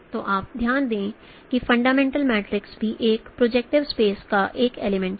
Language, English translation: Hindi, So you note that fundamental matrix is also an element of a projective space